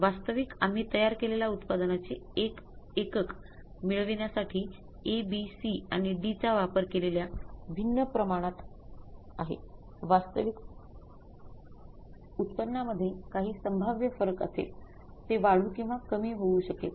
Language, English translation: Marathi, Actually is in the different proportions we have used of the A, B and C and D to get the one unit of the finished product, in that case there will be some possible difference in the actual yield, it may increase or decrease